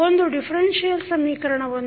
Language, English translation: Kannada, Let us consider one differential equation